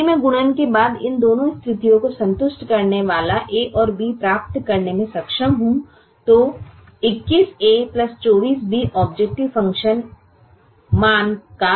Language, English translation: Hindi, after multiplication, then twenty one a plus twenty four b is an upper estimate of the objective function value